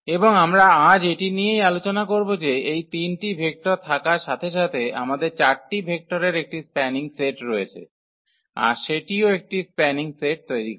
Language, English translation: Bengali, And this is what we will discuss today that having these 3 vectors we have a spanning set having this 4 vectors, that also form a spanning set